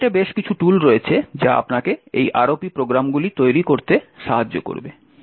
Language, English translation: Bengali, On the internet there are several tools which would help you in building these ROP programs